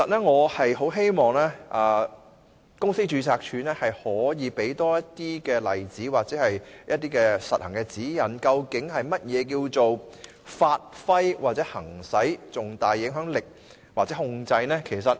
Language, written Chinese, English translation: Cantonese, 我很希望公司註冊處可以提供更多例子或實行指引，說明何謂"發揮或行使重大影響力或控制"。, I very much hope that the Companies Registry can provide more examples or practice guidelines to illustrate the meaning of exercising significant influence or control